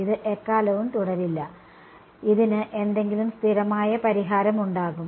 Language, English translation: Malayalam, It will not continue forever, there will be some steady state solution to this ok